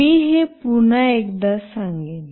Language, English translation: Marathi, I will just repeat this once more